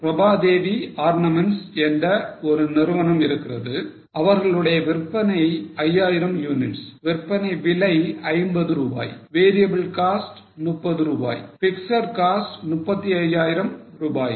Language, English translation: Tamil, So, Prabha Devi ornaments, they have sales of 5,000 units, sale price is 50, variable cost is 30, fixed cost is 35,000